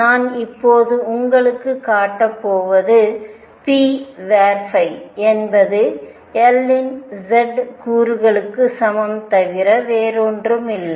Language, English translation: Tamil, I am now going to show you that p phi is equal to nothing but the z component of L